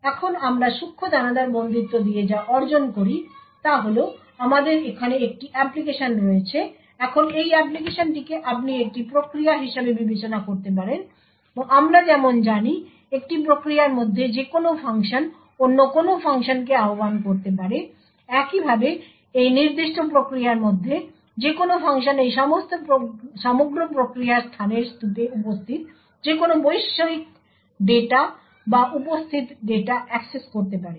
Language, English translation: Bengali, Now what we achieve with Fine grained confinement is that we have an application over here, now this application you could consider this as a process and as we know within a process any function can invoke any other function, Similarly any function within this particular process can access any global data or data present in the heap of this entire process space